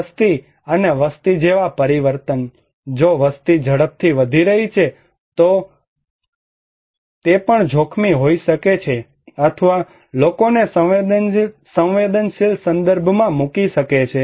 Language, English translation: Gujarati, And trends and changes like the population, if the population is increasing rapidly, then also it could be a threat or putting people into vulnerable context